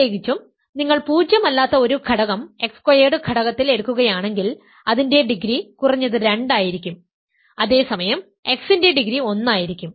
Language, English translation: Malayalam, In particular if you take a nonzero element in the ideal x squared its degree will be at least two, whereas, x as degree one